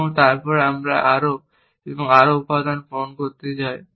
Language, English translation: Bengali, And then we want to fill in more and more stuff; how do we fill in